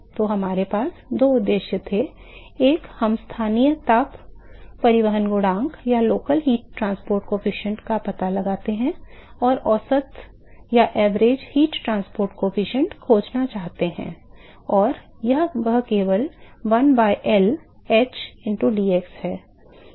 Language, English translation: Hindi, So, we had two objectives one is we find the local heat transport coefficient, we want to find the average heat transport coefficient and that is simply given by one by L h into dx